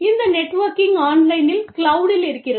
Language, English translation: Tamil, And, this networking is happening online, in the cloud